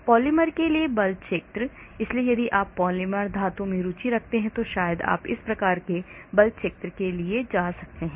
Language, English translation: Hindi, force fields for polymers; so if you are interested in polymers, metals, then maybe you can go for this type of force field